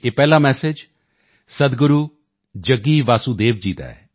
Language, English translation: Punjabi, The first message is from Sadhguru Jaggi Vasudev ji